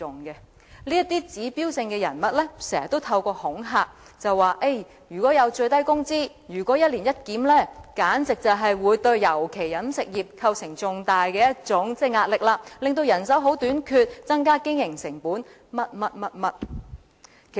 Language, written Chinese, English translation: Cantonese, 這些指標性人物常常發出恐嚇的言論，指出如果最低工資推行一年一檢，便會對各行業構成重大壓力，尤其是飲食業，出現人手短缺，增加經營成本等各種問題。, These icon figures often raise alarmist talk that the implementation of an annual review of the minimum wage will constitute tremendous pressure for various trades and industries the catering industry in particular resulting in problems like manpower shortage and increased operating cost and so on